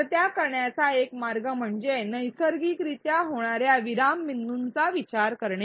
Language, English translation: Marathi, So, one way to do it is to think of naturally occurring pause points